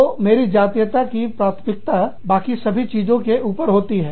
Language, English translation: Hindi, So, my ethnicity, takes priority over everything else